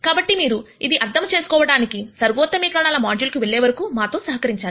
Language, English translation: Telugu, So, you will have to bear with us till you go through the optimization module to understand this